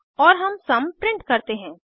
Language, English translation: Hindi, And we print the sum